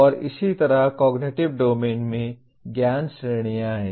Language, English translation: Hindi, And similarly Cognitive Domain has Knowledge Categories